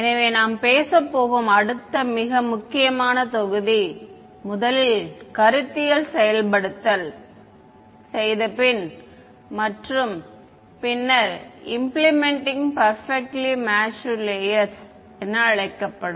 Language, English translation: Tamil, So, the next very important module that we are going to talk about is implementing first conceptualizing and then implementing what are called perfectly matched layers